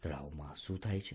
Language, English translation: Gujarati, what happens in frying